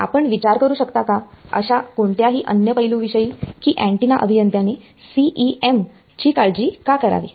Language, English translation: Marathi, Any other aspect you can think of why should us antenna engineer care about CEM